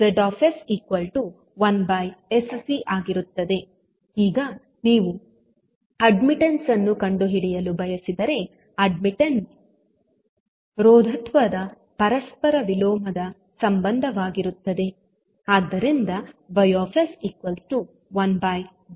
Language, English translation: Kannada, Now, if you want to find out the admittance, admittance would be the reciprocal of the impedance